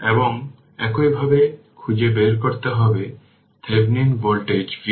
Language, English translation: Bengali, And similarly you have to find out your Thevenin voltage V thevenin